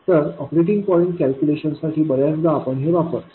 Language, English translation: Marathi, So for operating point calculation, most often we just use this